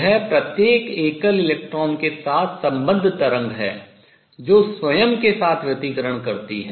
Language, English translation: Hindi, So, the wave associated with a single electron interferes with itself